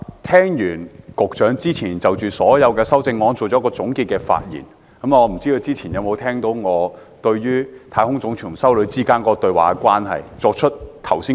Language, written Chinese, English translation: Cantonese, 聽了局長就所有修正案作出的總結發言，不知是否和我曾提到的太空總署給一名修女的回信有關？, Having listened to the concluding remarks of the Secretary on all the amendments I am wondering whether he has heard my quotation of the letter from the National Aeronautics and Space Administration in reply to a nun